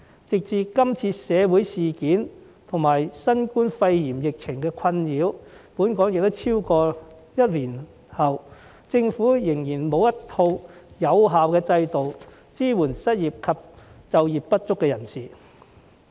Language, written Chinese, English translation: Cantonese, 直至今次社會事件及新冠肺炎疫情困擾本港超過一年後，政府仍然沒有一套有效制度來支援失業及就業不足的人士。, This time when Hong Kong has been plagued by the social incidents and the COVID - 19 epidemic for more than a year the Government is yet to put in place an effective system to support the unemployed and underemployed